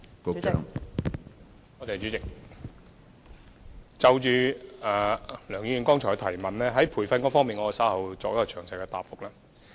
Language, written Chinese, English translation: Cantonese, 關於梁議員剛才的提問，在培訓方面，我稍後會作出詳細答覆。, With regard to the part concerning the provision of training in the supplementary question raised by Dr LEUNG just now I will give a detailed reply later